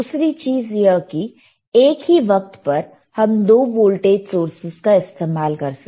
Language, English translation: Hindi, Another thing is that, at the same time we can use 2 voltage sources, you see 2 voltages different voltage